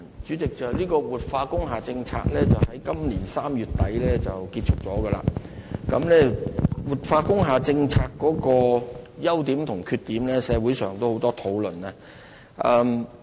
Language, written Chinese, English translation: Cantonese, 主席，活化工廈政策已在今年3月底結束，社會就這個政策的優點及缺點作出很多討論。, President the policy of industrial building revitalization has come to an end in March this year . There has been a lot of discussion in the community on the pros and cons of the policy